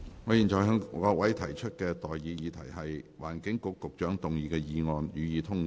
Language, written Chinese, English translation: Cantonese, 我現在向各位提出的待決議題是：環境局局長動議的議案，予以通過。, I now put the question to you and that is That the motion moved by the Secretary for the Environment be passed